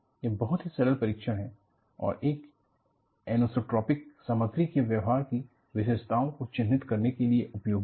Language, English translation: Hindi, This is a very simple test and useful to characterize an isotropic material behavior